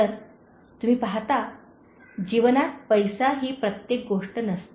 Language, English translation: Marathi, So, you see money is not everything in life